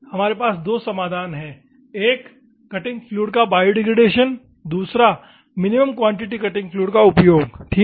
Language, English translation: Hindi, We have two solutions; one is biodegradation of the cutting fluid, another one is using the minimum quantity cutting fluid ok